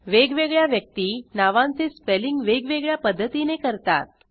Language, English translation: Marathi, The problem is different peoples spell their titles in different way